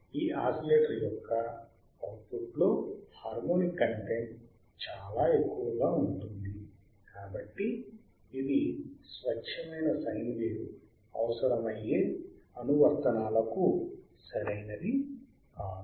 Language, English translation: Telugu, The harmonyic content in the output of this oscillator is very high hence it is not suitable for the applications which requires the pure signe wave